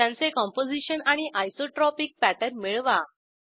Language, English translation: Marathi, Obtain their Composition and Isotropic pattern